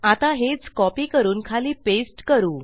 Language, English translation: Marathi, Let me copy and past that down there